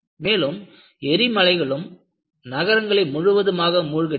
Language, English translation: Tamil, And, there have also been volcanoes, which totally submerge the cities